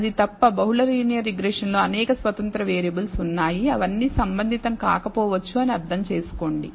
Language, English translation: Telugu, Except that understand in the multiple linear regression there are several independent variables all of them may not be relevant